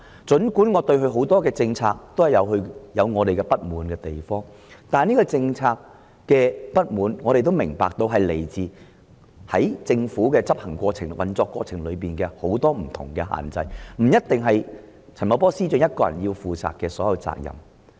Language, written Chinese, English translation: Cantonese, 儘管我對他多項政策有不滿意之處，但我也明白因為政府在執行或運作過程中面對諸多限制，因此不應由陳茂波司長獨力承擔所有責任。, Despite my dissatisfaction against him on a number of policies I understand that the Government is subject to many restrictions in its operation and Financial Secretary Paul CHAN should not be the one to take all the responsibility alone